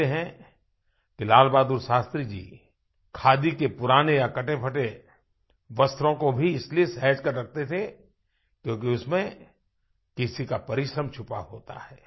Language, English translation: Hindi, It is said that LalBahadurShastriji used to preserve old and worn out Khadi clothes because some one's labour could be felt in the making of those clothes